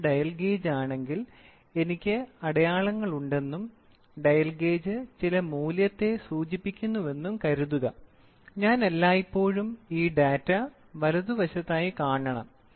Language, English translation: Malayalam, Suppose if this is a dial gauge and I have graduations and the dial gauge is indicating some value, I should always see this data, right at the normal